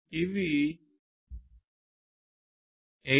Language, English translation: Telugu, It is based on the 802